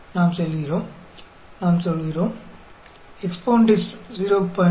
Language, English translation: Tamil, So, we get EXPONDIST 1